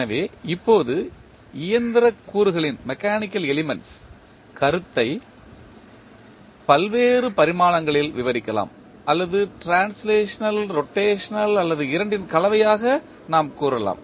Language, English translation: Tamil, So, now the notion of mechanical elements can be described in various dimensions or we can say as translational, rotational or combination of both